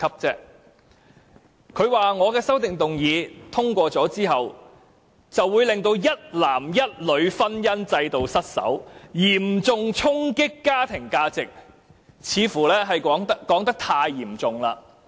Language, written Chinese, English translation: Cantonese, 他說我的修正案若獲得通過，會令一男一女的婚姻制度失守，嚴重衝擊家庭價值，似乎說得太嚴重了。, He said the passage of my amendment would lead to the breakdown of the marriage institution of one man and one woman and deal a serious blow to family values